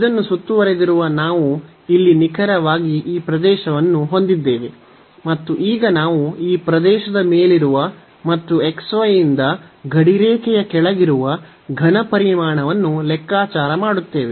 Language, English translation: Kannada, So, the enclosed by this we have precisely this region here and now we will compute the volume of the solid which is above this region here and below the bounded by the xy is equal to 1